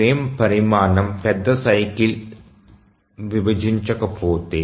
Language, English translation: Telugu, But what if the frame size doesn't divide the major cycle